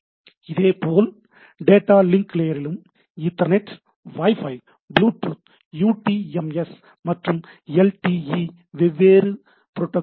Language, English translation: Tamil, Similarly, data link layer Ethernet, Wi Fi, Bluetooth, UTMS, UMTS and LTE type of things different set of protocols